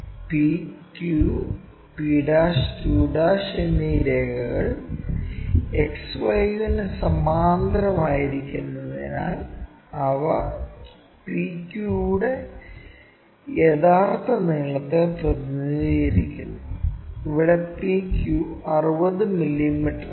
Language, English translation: Malayalam, As lines p q and p' q' are parallel to XY, they represent true length side of PQ; here PQ is 60 mm